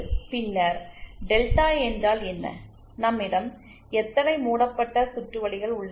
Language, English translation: Tamil, And then what is delta, how many loops do we have